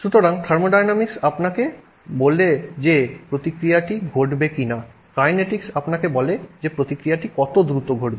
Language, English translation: Bengali, So, thermodynamics tells you whether or not the reaction will occur, kinetics tells you how fast the reaction will occur